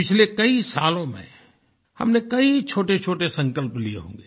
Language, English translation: Hindi, For the past many years, we would have made varied resolves